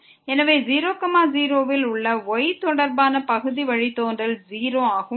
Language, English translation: Tamil, So, the partial derivative with respect to at 0 0 is 0